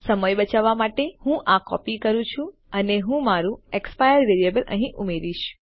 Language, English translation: Gujarati, To save time, I am copying this and I will add my expire variable here